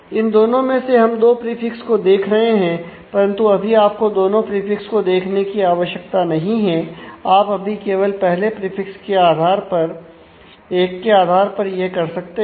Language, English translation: Hindi, Out of these two which are we are looking at two prefixes, but you do not really right now need to look at both the prefixes you can still resolve just by based on the first prefix 1